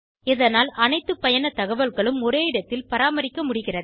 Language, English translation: Tamil, As a result all travel information can be maintained in one place